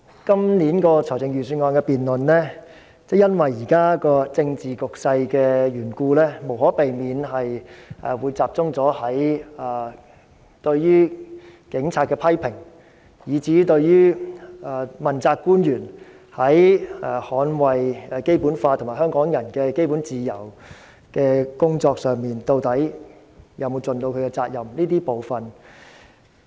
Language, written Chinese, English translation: Cantonese, 今年的財政預算案辯論，因為現時的政治局勢的緣故，無可避免會集中討論對於警察的批評，以至問責官員在捍衞《基本法》和香港人基本自由的工作上有否盡責任。, In the Budget debate this year given the current political situation it is inevitable that we will focus our discussion on the criticisms of the Police and whether accountability officials have duly performed their responsibility to safeguard the Basic Law and the fundamental freedoms of Hong Kong people